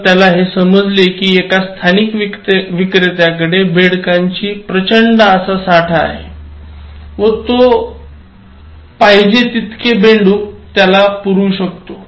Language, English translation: Marathi, So, he came to know that, there is a local vendor who has a huge storage and where he can give any number of frogs